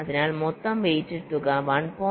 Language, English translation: Malayalam, so the total weighted sum is one